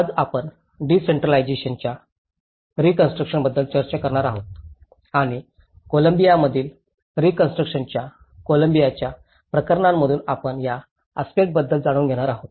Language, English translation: Marathi, Today, we are going to discuss about decentralizing reconstruction and we are going to learn about this aspect from the cases of Colombian case which is reconstruction in Colombia